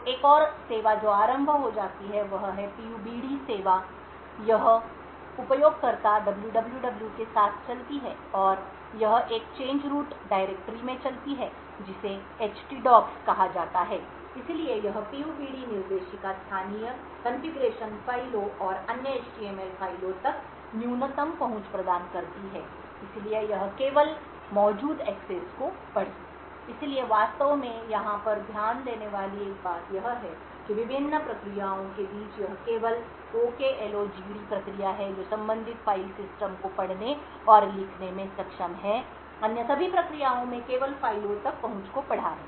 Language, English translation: Hindi, So another service which gets started is the PUBD service, this runs with the user www and it runs in a change root directory called ht docs, so this PUBD directory provides the minimal access to the local configuration files and other html files so it has only read only access that is present, so one thing to actually note over here is that among the various processes it is only the OKLOGD process which is able to read and write to the corresponding file system, all other processes have only read access to the files